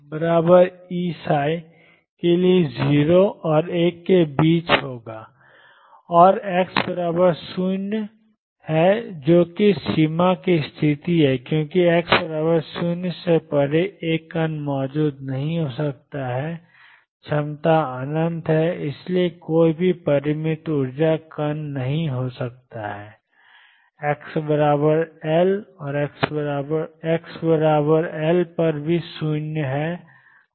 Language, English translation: Hindi, And psi x equals 0 is 0 that is the boundary condition because beyond x equals 0 a particle cannot exist potential is infinity and therefore, any finite energy particle cannot be there and psi at x equals L is 0